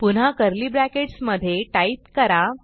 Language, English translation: Marathi, So again type inside curly brackets